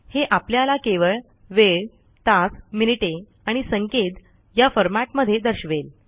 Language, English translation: Marathi, It gives us only the time in hours minutes and seconds (hh:mm:ss) format